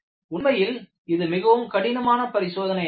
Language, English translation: Tamil, In fact, it is a very difficult experiment